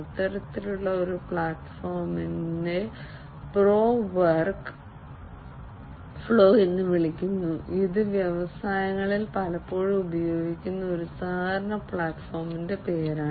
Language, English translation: Malayalam, One such platform is named known as pro work flow that is the name of a collaboration platform that is often used in the industries